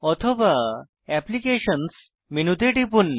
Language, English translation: Bengali, Alternately, click on Applications menu